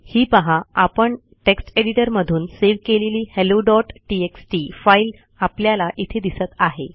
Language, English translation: Marathi, Hey we can see that the same hello.txt file what we saved from text editor is here